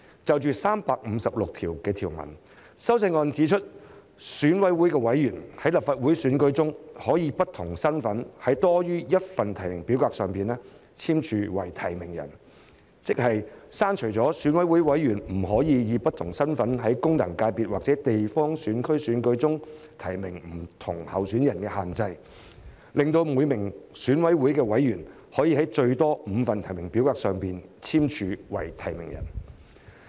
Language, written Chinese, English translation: Cantonese, 就第356條而言，修正案指明選舉委員會委員在立法會選舉中可以不同身份在多於1份提名表格上簽署為提名人，即是剔除選委不能以不同身份在功能界別或地方選區選舉中提名不同候選人的限制，讓每名選委能在最多5份提名表格上簽署為提名人。, As far as clause 356 is concerned it is specified in the amendment that an Election Committee EC member may subscribe more than one nomination form in multiple capacities in a Legislative Council election . That is to say the restriction that an EC member would not be able to nominate different candidates in a functional constituency or a geographical constituency election using hisher different capacities would be lifted thereby enabling an EC member to subscribe a maximum of five nomination forms